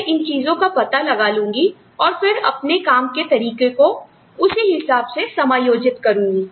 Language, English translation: Hindi, So, I find out these things, and then, I adjust my working style accordingly